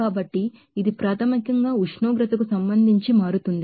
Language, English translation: Telugu, So, this is basically change with respect to temperature